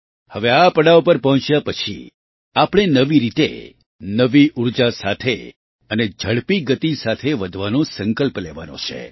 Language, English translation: Gujarati, Now after reaching this milestone, we have to resolve to move forward afresh, with new energy and at a faster pace